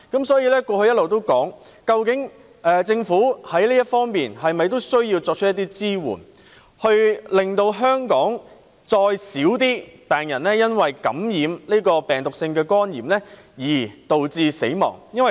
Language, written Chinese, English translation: Cantonese, 所以，過去我一直提出，政府需要在這方面提供一些支援，以進一步減少香港因感染病毒性肝炎致死的人數。, For this reason I have been proposing that the Government should provide some support in this area so as to further reduce the mortality from viral hepatitis